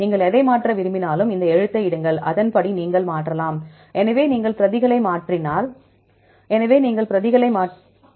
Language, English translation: Tamil, Whatever you want to change, put this letter then accordingly you can change fine